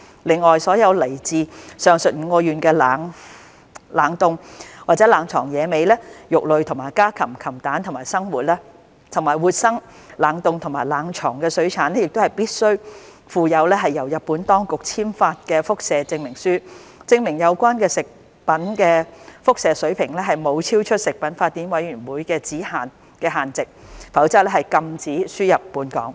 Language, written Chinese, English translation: Cantonese, 另外，所有來自上述5個縣的冷凍或冷藏野味、肉類和家禽、禽蛋，以及活生、冷凍或冷藏水產品亦必須附有由日本當局簽發的輻射證明書，證明有關食物的輻射水平沒有超出食品法典委員會的指引限值，否則亦禁止輸入本港。, In addition the import of all chilled or frozen game meat and poultry poultry eggs and all live chilled or frozen aquatic products from the above five prefectures is prohibited unless the food products are accompanied by radiation certificate issued by the competent authority of Japan certifying that their radiation levels do not exceed the guideline levels of the Codex Alimentarius Commission